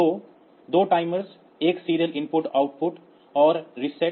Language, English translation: Hindi, So, 2 timers 1 serial input output and the reset